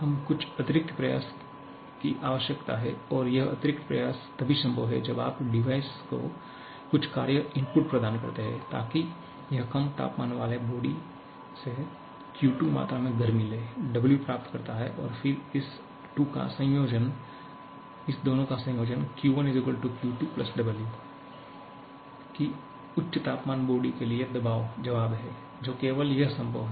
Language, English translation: Hindi, We need some additional effort and that addition effort is possible only if you provide some work input to device, so that it takes Q2 amount of heat from this low temperature body, receives W and then the combination of this 2; Q1 +